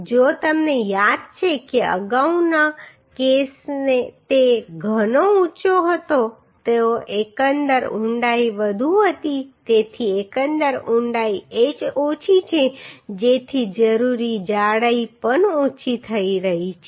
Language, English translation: Gujarati, If you remember the earlier case it was quite high the overall depth was higher so as overall depth is uhhh less so required thickness is also becoming less